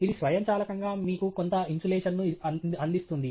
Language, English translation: Telugu, It also provides automatically provides you with some insulation